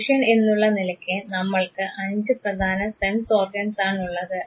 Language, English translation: Malayalam, So, we have as human beings five important sense organs